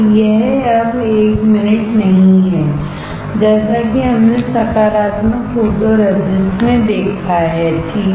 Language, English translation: Hindi, This is not anymore 1 minute like we have seen in positive photoresist, alright